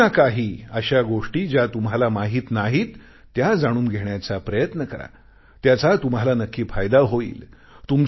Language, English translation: Marathi, Try to know about things about which you have no prior knowledge, it will definitely benefit you